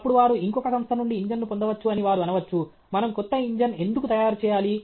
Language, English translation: Telugu, Then, they say, I can get the engine from some other company; why should I make a new engine